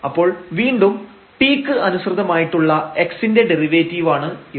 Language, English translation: Malayalam, So, again this is the derivative of x with respect to t